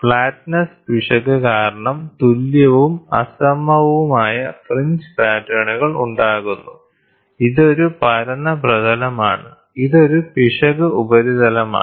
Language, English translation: Malayalam, So, equal and unequal fringe patterns due to flatness error, this is a flat surface, this is an error surface